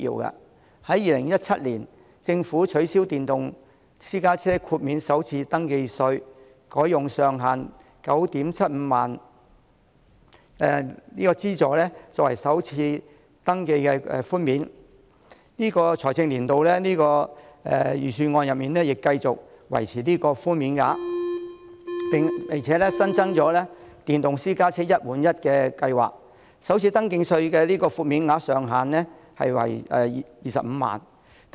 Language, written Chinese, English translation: Cantonese, 政府在2017年取消電動私家車豁免首次登記稅，改用上限 97,500 元的資助作為首次登記寬減，本年度財政預算案亦繼續維持此寬減額，並且新增了電動私家車"一換一"計劃，首次登記寬減額上限為25萬元。, In 2017 the SAR Government abolished the full waiver of the first registration tax for electric private cars and imposed a cap on the waiver at 97,500 . The Budget this year continues with this tax concession and also introduces the new One - for - One Replacement Scheme which provides a higher first registration tax concession for new electric private cars capped at 250,000